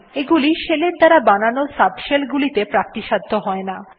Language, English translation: Bengali, These are not available in the subshells spawned by the shell